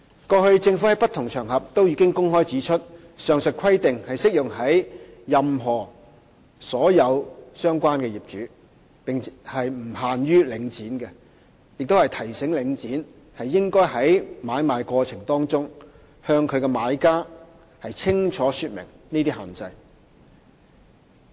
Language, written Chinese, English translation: Cantonese, 過去，政府在不同場合均已公開指出上述規定適用於所有相關業主，並不限於領展，亦曾提醒領展應在買賣過程中向買家清楚說明這些限制。, The Government has publicly stated on different occasions in that past that the aforementioned requirements are applicable not only to Link REIT but to all owners . It has also reminded Link REIT to clearly explain these restrictions to buyers during the transaction process